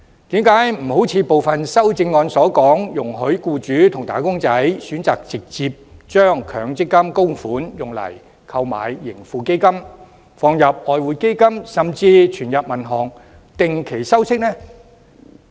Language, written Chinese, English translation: Cantonese, 為何不如部分修正案所述，容許僱主和"打工仔"選擇直接將強積金供款用以購買盈富基金、投放外匯基金，甚至存入銀行定期收息？, Why do we not introduce measures as proposed in some amendments which allow employers and wage earners to choose to directly use MPF contributions on subscription to the Tracker Fund of Hong Kong invest their contributions in the Exchange Fund or even as deposits with banks for term interests?